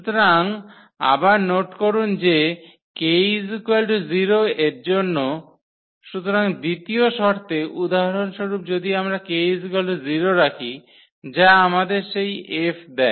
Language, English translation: Bengali, So, again note that that for k is equal to 0, so, in the second condition for instance if we put k is equal to 0 that will give us that F